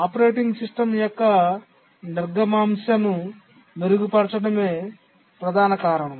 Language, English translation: Telugu, The main reason is to enhance the throughput of the operating system